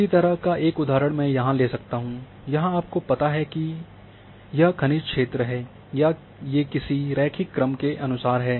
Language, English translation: Hindi, Similar example I can give that you know like a there is a mineralization zone or along a along a line or a linear fashion